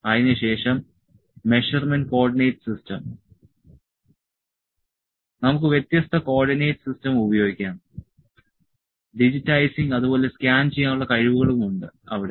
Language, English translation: Malayalam, Then measurement coordinates systems, we can use different coordinate system, digitizing and scanning abilities are also there